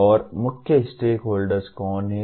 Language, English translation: Hindi, And who are the main stakeholders